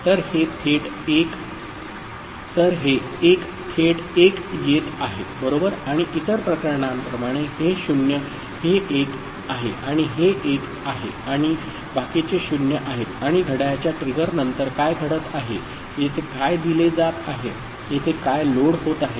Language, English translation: Marathi, So, this 1 is coming directly as 1 right and the other cases so, this is 0 this is 1 and this is 1 and rest are 0 and after the clock trigger what is happening, what is getting fed here, what is getting loaded here